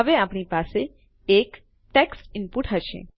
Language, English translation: Gujarati, Now we will have a text input